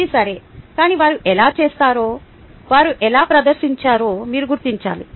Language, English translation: Telugu, that is fine, but you need to figure out how they have done, how they have performed